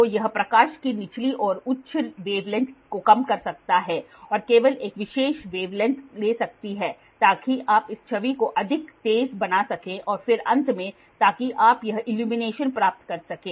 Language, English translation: Hindi, So, it can cut down the lower and the higher wave lengths of light and only a particular wave length is taken so that you can make that the image much sharper and then finally, so you can get so this is illumination